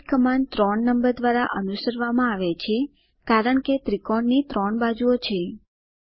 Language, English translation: Gujarati, repeat command is followed by the number 3, because a triangle has 3 sides